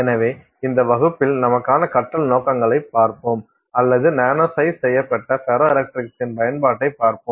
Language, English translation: Tamil, So, we will look at in this class the learning objectives for us are we will look at the use of nano sized ferroelectrics